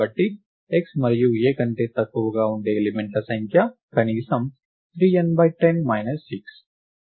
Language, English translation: Telugu, Therefore, the number of elements which are smaller than x and A is at least 3 n by 10 minus 6